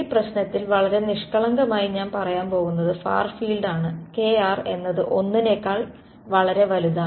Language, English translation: Malayalam, In this problem very naively I am going to say far field is when kr is much much greater than 1 ok